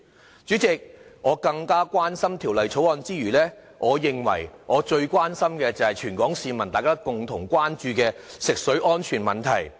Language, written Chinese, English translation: Cantonese, 代理主席，我關心《條例草案》之餘，我認為我最關心的是全港市民共同關注的食水安全問題。, Deputy President I concern myself with the Bill because the safety of drinking water concerns me most . I know it is also the concern of all Hong Kong people